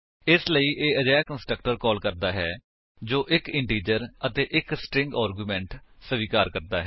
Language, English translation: Punjabi, Hence it calls the constructor that accepts 1 integer and 1 String argument